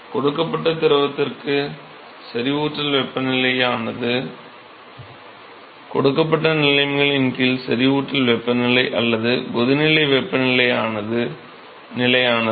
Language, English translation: Tamil, So, not that saturation temperature is fixed for a given fluid, under given conditions the saturation temperature or the boiling temperature is fixed